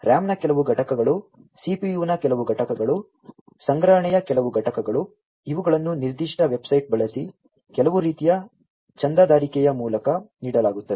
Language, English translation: Kannada, Certain units of RAM, certain units of CPU, certain units of storage etcetera, you know, these are offered through some kind of a subscription using a particular website